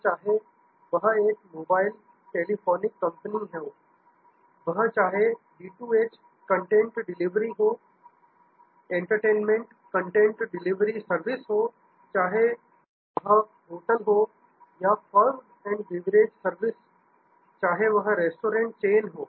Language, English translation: Hindi, So, whether it is a mobile telephonic company, whether it is a D2H content delivery, entertainment content delivery service, whether it is a hotel or food and beverage service, whether it is a restaurant chain